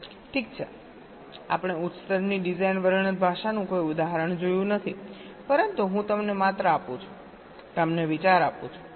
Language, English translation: Gujarati, well, we have not seen any example of a high level design description language, but i am just giving you the [vocalized noise] ah, giving you the idea